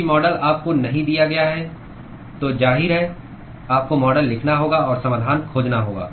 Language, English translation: Hindi, If the model is not given to you, obviously, you have to write the model and find the solution